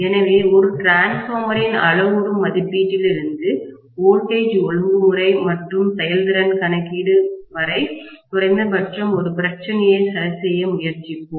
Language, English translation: Tamil, So, we will try to work out maybe one problem at least, right from the parameter estimation of a transformer until voltage regulation and efficiency calculation